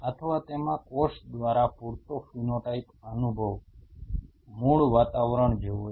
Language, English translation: Gujarati, Or close enough phenotype experience by the cell in it is native environment